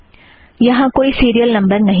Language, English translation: Hindi, Serial numbers have disappeared